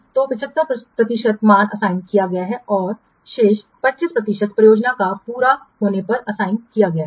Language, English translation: Hindi, So, 75% value is assigned and the rest 25% is assigned on completion of the project